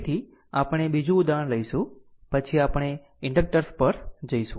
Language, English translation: Gujarati, So, we will take another example, then we will move to the inductors right